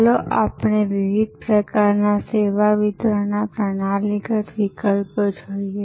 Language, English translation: Gujarati, Let us look at the different types of service delivery classical options